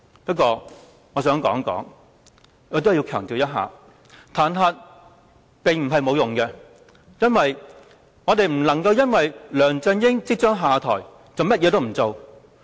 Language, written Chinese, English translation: Cantonese, 不過，我想強調，彈劾並不是沒有用的，原因是我們不能因為梁振英即將下台便甚麼也不做。, Notwithstanding that I want to stress that the impeachment is not pointless as we cannot just sit back and do nothing simply because he will step down soon